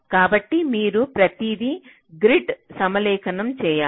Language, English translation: Telugu, so there you have to align everything to a grid